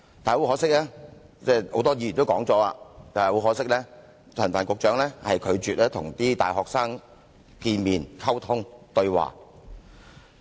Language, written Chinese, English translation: Cantonese, 不過，很可惜，很多議員已經提及，陳帆局長拒絕跟大學生見面溝通和對話。, Regrettably as many Members have already pointed out Secretary Frank CHAN simply refused to communicate and have any dialogue with our university students